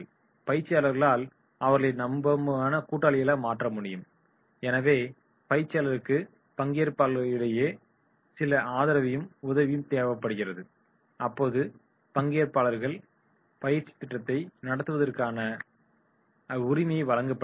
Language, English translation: Tamil, Trainer can make them trusted allies so therefore in the case the trainer requires some support from the trainees, right to conduct the training program their participation